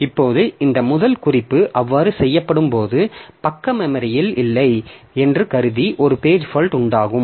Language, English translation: Tamil, Now when this first reference is made, so assuming that the page was not present in the memory so there will be a page fault